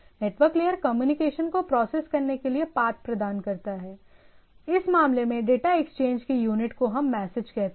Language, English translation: Hindi, So, network layer this what is the path and transport layer process to process communication, unit of data exchange in this case what we say message right